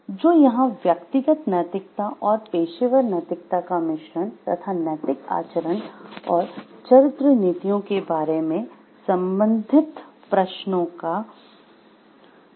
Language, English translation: Hindi, So, here may be you it is a blend of again a personal ethics and professional ethics, the study of related questions about moral conduct, character policies